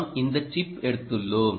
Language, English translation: Tamil, we took this chip and um